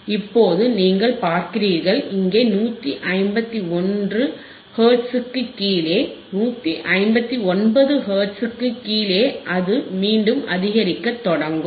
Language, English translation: Tamil, Now you see here below 151 Hertz, below 159 Hertz it will again start increasing